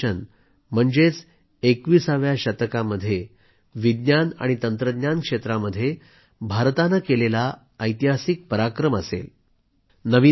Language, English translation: Marathi, Gaganyaan mission will be a historic achievement in the field of science and technology for India in the 21st century